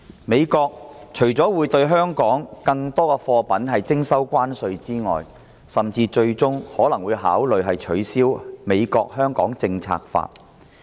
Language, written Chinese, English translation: Cantonese, 美國除了會對中國更多貨品徵收關稅外，最終甚至可能會考慮取消其《香港政策法》。, In addition to imposing tariffs on more Chinese goods the United States may even consider repealing its Hong Kong Policy Act eventually